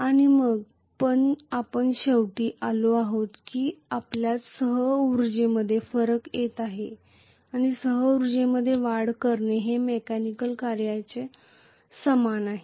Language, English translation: Marathi, And then we ultimately arrived at the fact that we are getting the difference in the co energy or increasing in the co energy is equal to the mechanical work done